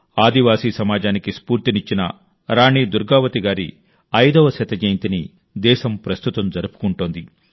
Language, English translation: Telugu, The country is currently celebrating the 500th Birth Anniversary of Rani Durgavati Ji, who inspired the tribal society